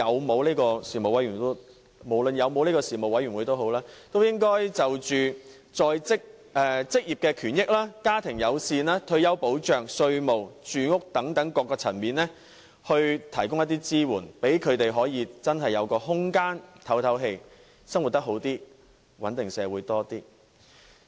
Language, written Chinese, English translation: Cantonese, 不管有否中產事務委員會，政府也應該就着職業權益、家庭友善、退休保障、稅務和住屋等各層面為他們提供支援，讓他們有真正喘息的空間，生活得以改善，這亦有助穩定社會。, Be there a middle class commission or not it is incumbent upon the Government to provide them with support in various areas such as occupational right family - friendliness retirement protection taxation housing etc . so as to allow them the real breathing space . This will help improve their quality of living and stabilize our society